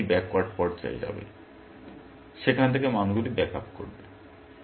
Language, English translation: Bengali, Then it will go into the backward phase, backing up the values from there